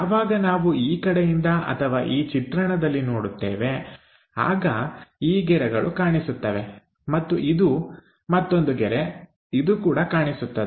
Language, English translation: Kannada, So, when we are looking from this view this line will be visible and this one there is one more line visible